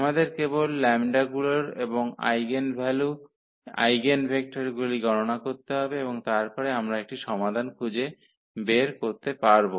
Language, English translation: Bengali, We need to just compute the lambdas and the eigenvalues eigenvectors and then we can find a solution